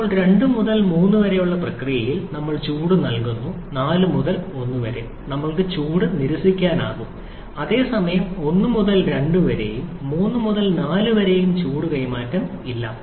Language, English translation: Malayalam, Now, during process 2 to 3, we have heat addition; during 4 to 1, we have heat rejection whereas during 1 to 2 and 3 to 4, there is no heat transfer